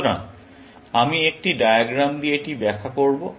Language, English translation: Bengali, So, let me illustrate that with a diagram